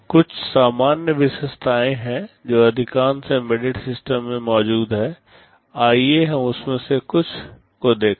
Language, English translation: Hindi, There are some common features that are present in most embedded systems, let us look at some of them